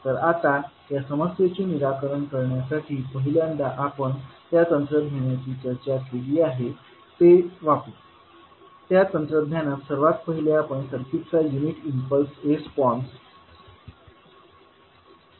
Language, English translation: Marathi, So now to solve this problem we have to first use the technique which we discuss that we will first point the unit impulse response that is s t of the circuit